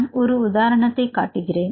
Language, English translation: Tamil, I will show an example